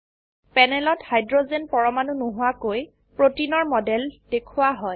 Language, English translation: Assamese, The model of protein on the panel is shown without hydrogens atoms